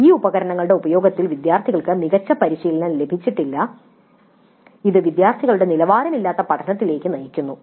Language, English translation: Malayalam, Students are not trained well in the use of these tools and this leads to low quality learning by the students